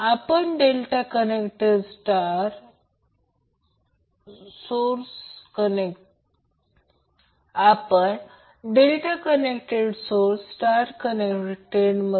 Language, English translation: Marathi, Suppose, this is your star connected, this is your star connected right load, so this is star connected